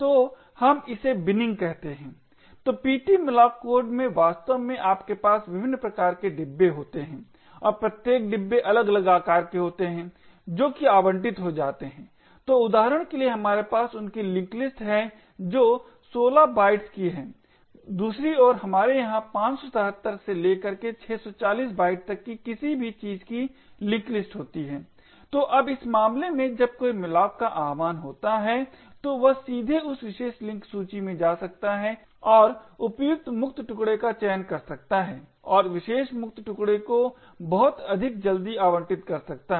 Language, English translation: Hindi, So we call this as Binning, so in the ptmalloc code in fact you have various different types of bins and each bin caters to different size of chunks that gets allocated, so for example here we have a linked list of chunks which are of 16 bytes on the other hand we have over here a link list of chunks comprising anything from 577 to 640 bytes, so now in this particular case when a malloc gets invoked it can directly go to that particular link list and select the appropriate free chunk and allocate that particular free chunk much more quickly